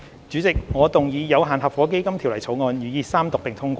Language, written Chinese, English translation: Cantonese, 主席，我動議《有限合夥基金條例草案》予以三讀並通過。, President I move that the Limited Partnership Fund Bill be read the Third time and do pass